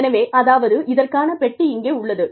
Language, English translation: Tamil, So, that is, this box over here